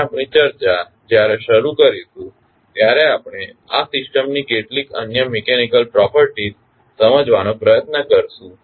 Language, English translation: Gujarati, We continue our discussion and we will try to understand some other mechanical properties of this system